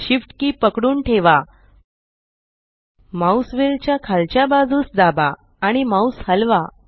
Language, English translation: Marathi, Hold shift, press down the mouse wheel and move the mouse